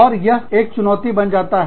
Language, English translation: Hindi, And, that becomes a challenge